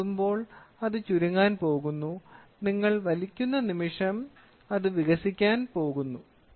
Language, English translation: Malayalam, So, moment you touch, it is going to shrink; the moment you pull, it is going to expand